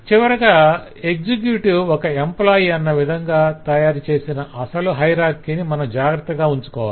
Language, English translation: Telugu, and finally we preserve the original hierarchy that we are created that an executive is an employee